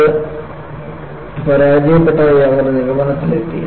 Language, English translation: Malayalam, So, they concluded, it failed